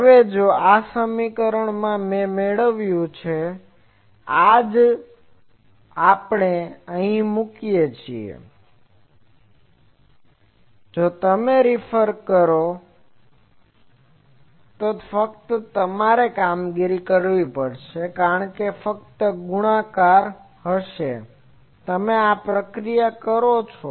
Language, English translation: Gujarati, Now, if this equation what I obtained here, this if we put here, if you do it; just you will have to do this operation because this will be simply multiplication, you do this operation